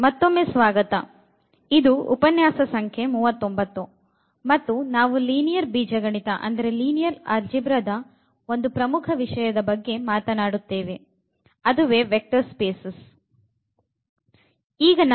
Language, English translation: Kannada, So, welcome back and this is lecture number 39 and we will be talking about a very important topic in Linear Algebra that is a Vector Spaces